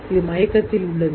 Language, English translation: Tamil, This is unconscious